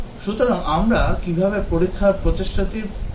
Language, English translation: Bengali, So, how would we plan the test effort